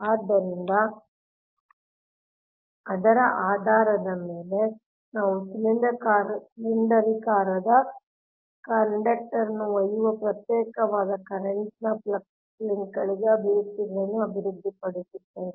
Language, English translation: Kannada, so in based on that, we will develop expressions for flux linkages of an isolated current carrying cylindrical conduct